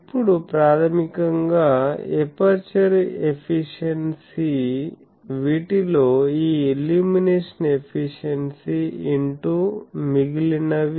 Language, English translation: Telugu, Now, aperture efficiency is basically this illumination efficiency into these